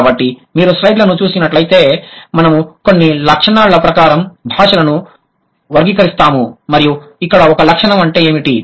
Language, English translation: Telugu, So, if you look at the slides, it's we categorize languages according to a certain trait